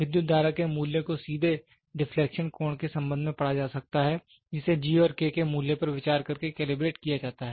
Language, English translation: Hindi, The value of the current can be directly read with respect to the deflecting angle theta which is calibrated by considering the values of G and K